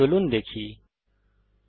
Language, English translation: Bengali, Lets find out